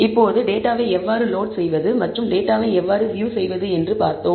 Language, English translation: Tamil, Now, we have seen how to load the data and how to view the data